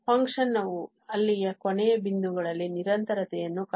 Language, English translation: Kannada, The function is also maintaining continuity at the endpoints there